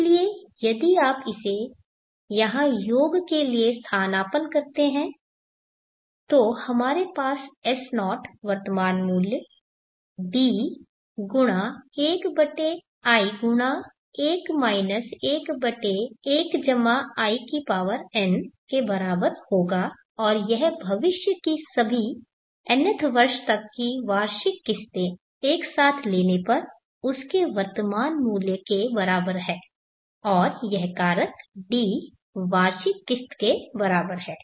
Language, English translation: Hindi, So if you substitute this for the sum here then we will have S0 the present worth is equal to D(1/n(1 1/1+In) and this is the present worth of all future annual installments up to nth year taken together